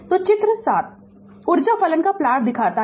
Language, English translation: Hindi, So, figure 7 shows the plot of energy function right